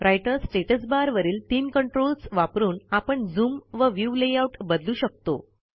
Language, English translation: Marathi, The three controls on the Writer Status Bar also allow to change the zoom and view layout of our document